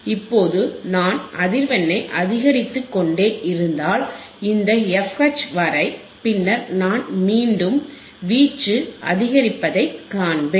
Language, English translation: Tamil, Now if I keep on increasing the voltage frequency about this f H, then I will again see the increase in the amplitude